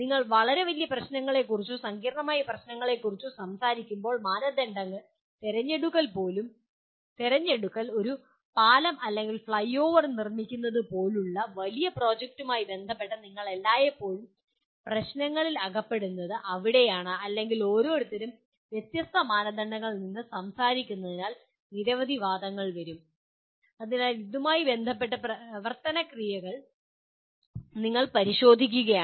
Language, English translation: Malayalam, When you talk about very big problems or complex problems then selection of criteria, that is where you all the time get into problems with regard to large projects like constructing a bridge or a flyover or any number of controversies will come because each one is talking from a different set of criteria